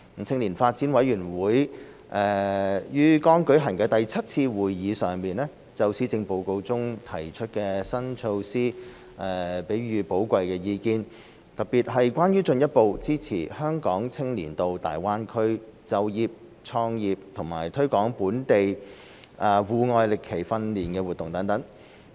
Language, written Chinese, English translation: Cantonese, 青年發展委員會於剛舉行的第七次會議上，就施政報告中提出的新措施給予寶貴意見，特別是關於進一步支持香港青年到大灣區就業創業和推廣本地戶外歷奇訓練活動等。, At its seventh meeting just held the Youth Development Commission offered valuable views on the new initiatives in the Policy Address particularly those concerning further supporting young people from Hong Kong to seek employment and start businesses in the Greater Bay Area and promoting local outdoor adventure training activities